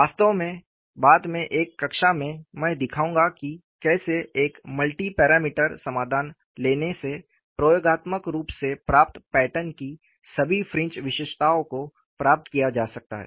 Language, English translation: Hindi, In fact, in a class, later, I would show how taking a multi parameter solution can capture all the fringe features of the experimentally obtained patterns